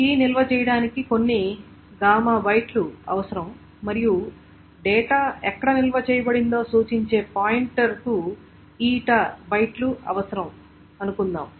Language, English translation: Telugu, And suppose key consumes, key requires some gamma bytes to store and pointer, or the pointer to where the data is, requires some eta bytes